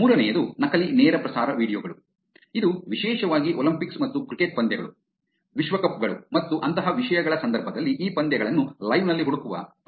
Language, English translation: Kannada, The third one is fake live streaming videos, which is particularly in the context of Olympics and cricket matches, world cups and things like that, there is tendency of actually looking for these matches in live